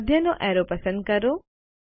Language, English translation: Gujarati, Lets select the middle arrow